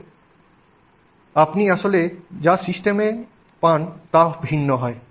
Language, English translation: Bengali, And therefore what you actually get in the system is different